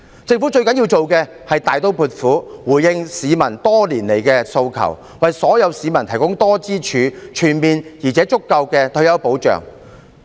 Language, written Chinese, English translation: Cantonese, 政府最需要做的，是大刀闊斧回應市民多年來的訴求，為所有市民提供多支柱、全面而足夠的退休保障。, What the Government needs to do most is to respond decisively to public aspirations over the years by providing multi - pillared comprehensive and sufficient retirement protection to all citizens